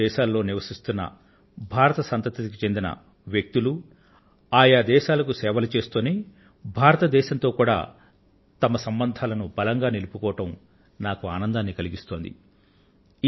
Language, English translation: Telugu, I am happy that the people of Indian origin who live in different countries continue to serve those countries and at the same time they have maintained their strong relationship with India as well